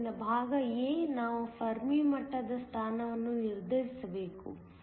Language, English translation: Kannada, So, part a, we need to determine the position of the Fermi level